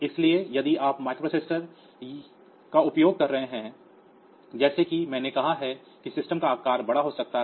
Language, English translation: Hindi, So, if you are using microprocessor as I have said that the size of the system may become large